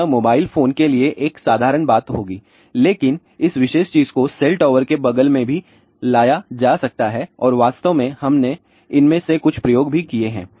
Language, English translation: Hindi, So, that would be a simple thing for mobile phone, but this particular thing can also be taken next to the cell tower and in fact, we have done some of these experiments also